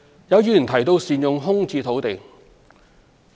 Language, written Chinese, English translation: Cantonese, 有議員提到善用空置土地。, Some Members mentioned the need to optimize the use of vacant sites